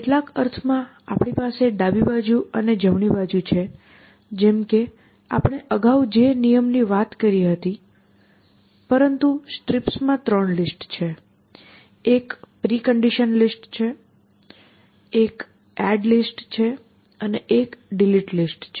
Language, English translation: Gujarati, So, in some sense we have the left hand side and the right hand side like in the rule that we talked about earlier, but in this strips kind of a thing, we would say that they are three list, one is a precondition list, one is the add list and one is the delete list